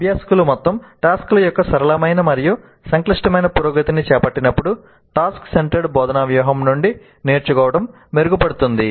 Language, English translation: Telugu, So learning from task centered instructional strategy is enhanced when learners undertake a simple to complex progression of whole tasks